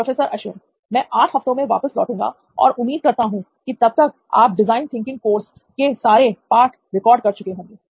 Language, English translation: Hindi, Wow, I will be back shortly in a few weeks an 8 weeks to be precise and by that time, I expect that you will have all of the lessons of this design thinking course record, right